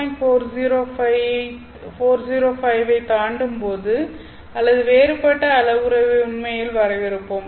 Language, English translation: Tamil, 405 or we will actually define a different parameter, but then when this exceeds the value of 2